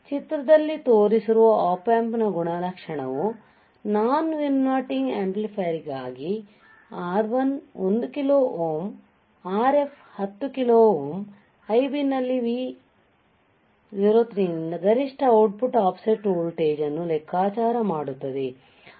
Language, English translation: Kannada, So, Op Amp characteristic we are looking at as an example first is for the non inverting amplifier shown in figure this one, R1 is 1 kilo ohm Rf equals to 10 kilo ohm calculate the maximum output offset voltage due to Vos in Ib